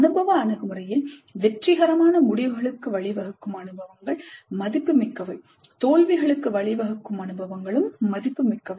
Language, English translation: Tamil, In experiential approach experiences which lead to successful results are valuable, experiences which lead to failures are also valuable